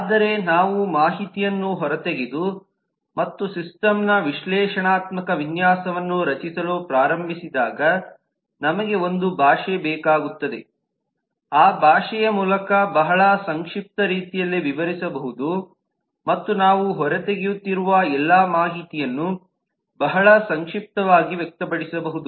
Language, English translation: Kannada, but as we extract the information and start creating the analytical design of the system, we need a language which can be used very compact way and very concretely to express all the information that we are extracting